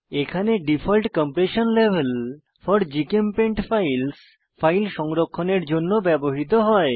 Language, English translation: Bengali, The first field, Default Compression Level For GChemPaint Files, is used when saving files